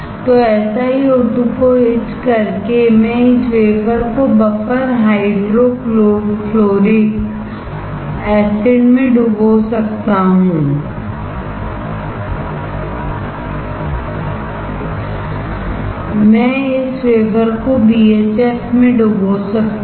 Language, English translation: Hindi, So, by for etching SiO2 I can dip this wafer in buffer hydrofluoric acid; I can dip this wafer in BHF